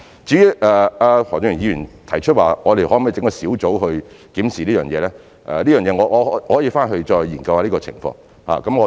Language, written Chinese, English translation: Cantonese, 至於何俊賢議員提出我們可否成立小組來檢視這方面事宜，就此，我可以回去後研究這情況。, As for Mr Steven HOs suggestion that we could set up a task force to review this matter I can look into that after the meeting